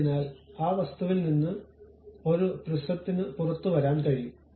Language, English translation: Malayalam, So, that a prism can come out of that object